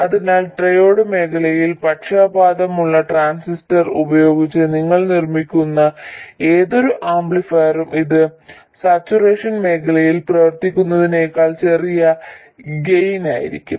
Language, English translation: Malayalam, So, any amplifier that you make with the transistor biased in triode region will have a smaller gain than if it were operating in saturation region